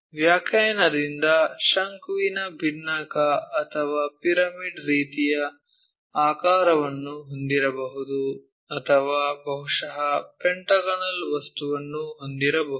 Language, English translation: Kannada, Frustum by definition it might be having a cone or pyramid kind of shape or perhaps pentagonal thing